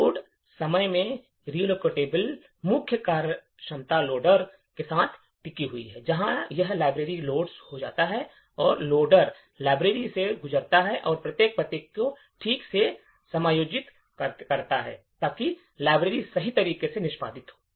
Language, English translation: Hindi, In the Load time relocatable the main functionality rests with the loader, where, when the library gets loaded, the loader would pass through the library and adjust each address properly, so that the library executes in the right expected manner